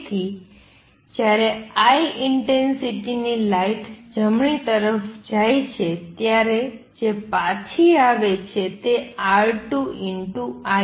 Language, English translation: Gujarati, So, what happens is when light of intensity I goes to the right what comes back is R 2 I